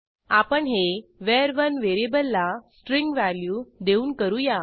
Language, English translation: Marathi, Lets do this by assigning a string value to variable var1